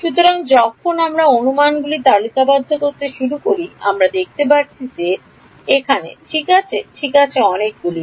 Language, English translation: Bengali, So, when we began to list out the assumptions we can see that there are so many over here right all right